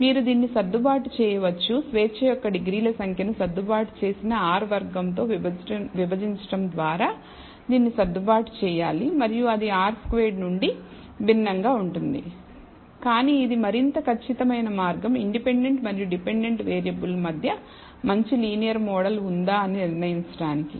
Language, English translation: Telugu, So, you should adjust this by dividing the number of degrees of freedom and the adjusted R square essentially makes this adjustment and give it is different from R squared, but it is a more accurate way of what I call judging whether there is a good linear good model between the dependent and independent variable